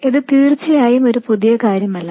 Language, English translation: Malayalam, Now of course this is not something new